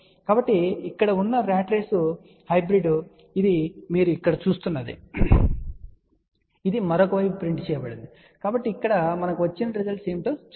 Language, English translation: Telugu, So, the ratrace hybrid over here is shown this is what you see over here, that is printed on the other side so, let us see what are the results we got over here